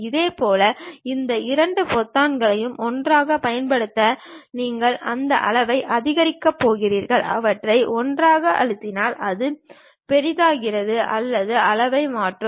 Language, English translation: Tamil, Similarly, you want to increase that size use these two buttons together, you press them together so that it enlarges or change the size